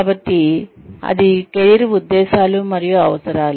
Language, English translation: Telugu, So, that is, career motives and needs